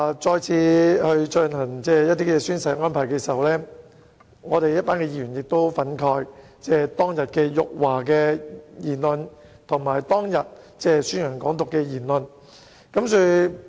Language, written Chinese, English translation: Cantonese, 在再次進行宣誓安排的時候，我們一群議員對於當天辱華和宣揚"港獨"的言論，感到十分憤慨。, At the time when the oath - taking was arranged once again we as Members were very angry with the remarks that insulted China and propagated Hong Kong independence on that day